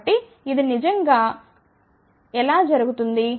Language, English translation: Telugu, So, how does this really happen